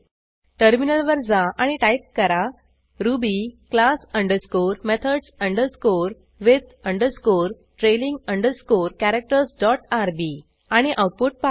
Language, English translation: Marathi, Switch to the terminal and type ruby class underscore methods underscore with underscore trailing underscore characters dot rb and see the output